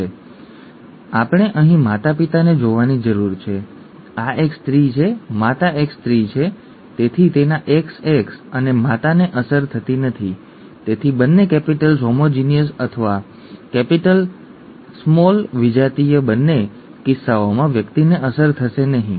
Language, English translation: Gujarati, 14 is here, therefore we need to look at the parents here, this is a female, the mother is a female therefore its XX and the mother is not affected therefore either both capitals homozygous or capital small heterozygous in both cases the person will not be affected